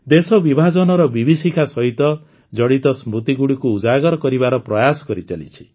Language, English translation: Odia, An attempt has been made to bring to the fore the memories related to the horrors of Partition